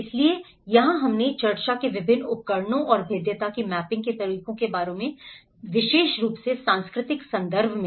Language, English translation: Hindi, So here we did discussed about various tools and methods of mapping the vulnerability and especially, in cultural context